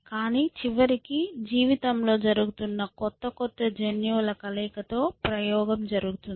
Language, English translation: Telugu, But eventually there is a experimentation with newer or newer combinations of genes that life is doing